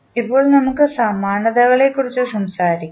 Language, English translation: Malayalam, Now, let us talk about the analogies